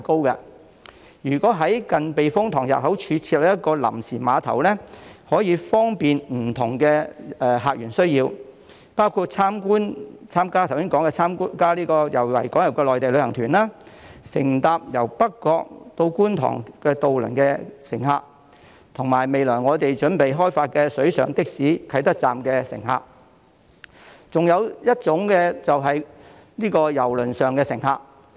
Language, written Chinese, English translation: Cantonese, 如果在近避風塘入口處設立一個臨時碼頭，將可以方便不同訪客的需要，包括剛才提到參加維港遊的內地旅行團、乘搭北角至觀塘渡輪的乘客、未來準備開發的水上的士啟德站的乘客，以及郵輪上的乘客。, If a temporary pier is provided near the entrance to the typhoon shelter it will be able to cater for the needs of different visitors including the Mainland tour groups participating in harbour tours as mentioned just now passengers taking the ferries plying between North Point and Kwun Tong passengers at the Kai Tak water taxi stop to be developed as well as cruise passengers